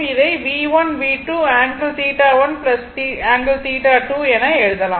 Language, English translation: Tamil, So, this one you can write